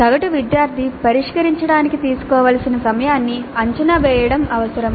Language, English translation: Telugu, Time expected to be taken to solve by an average student